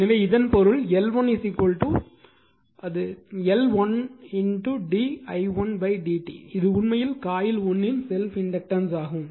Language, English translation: Tamil, So that means, L 1 is equal to actually L 1 d phi 1 upon d i1 it is actually self inductance of coil 1 right this is self inductance of coil 1